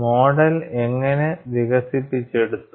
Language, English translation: Malayalam, And how the model is developed